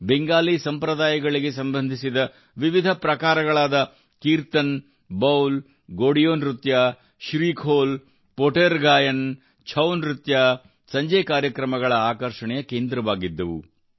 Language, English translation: Kannada, Various genres related to Bengali traditions such as Kirtan, Baul, Godiyo Nritto, SreeKhol, Poter Gaan, ChouNach, became the center of attraction in the evening programmes